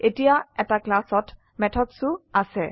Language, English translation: Assamese, Now a class also contains methods